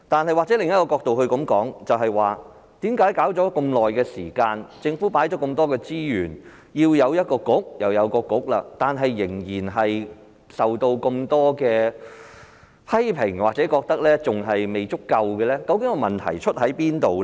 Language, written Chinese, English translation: Cantonese, 或許從另一個角度來看，為何搞了那麼長的時間，政府投放了那麼多資源，要有政策局便有政策局，但仍然受到那麼多的批評或仍然未足夠，究竟問題出在哪裏呢？, We can perhaps look at the matter from another perspective and ponder why the relevant work has still attracted so many criticisms or the efforts made are still not enough although so much time has been spent so many resources have been given and even a dedicated Policy Bureau has been set up by the Government . What has actually gone wrong?